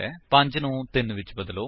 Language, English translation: Punjabi, Lets Change 5 to 3